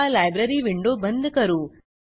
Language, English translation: Marathi, Now, lets close the Library window